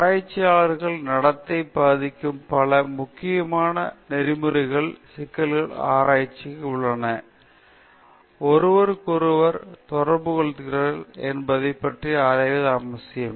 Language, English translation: Tamil, And again, there are so many important ethical issues that affect the conduct of research, the very conduct of research and also researchers, how researchers are related to each other